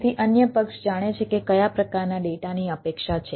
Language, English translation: Gujarati, so other party knows that what sort of data is expecting